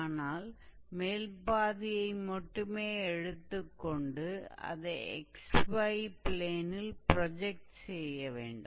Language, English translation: Tamil, So, when we take the projection of the upper half on xy plane, it will be a circle with similar radius